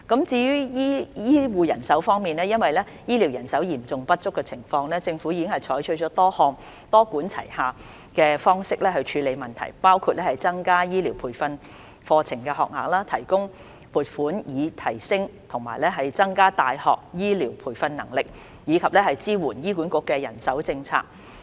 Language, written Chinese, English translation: Cantonese, 至於醫護人手方面，因醫療人手嚴重不足，政府已採取多項多管齊下的方式處理相關問題，包括增加醫療培訓課程學額，提供撥款以提升和增加大學醫療培訓能力，以及支援醫管局的人手政策。, Concerning health care manpower with a serious shortage of health care staff the Government has adopted various multi - pronged approaches to deal with the relevant problem including increasing the number of health care training places providing funding for enhancing and expanding the capacity for health care training in universities and supporting HAs manpower policy